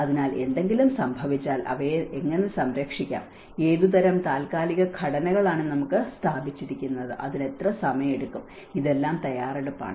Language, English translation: Malayalam, So, if something happens, how to safeguard them and what kind of temporary structures we have erect and what time it takes, this is all preparation